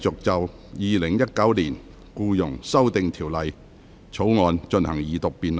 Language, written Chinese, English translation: Cantonese, 本會現在繼續就《2019年僱傭條例草案》進行二讀辯論。, This Council now continues with the Second Reading debate on the Employment Amendment Bill 2019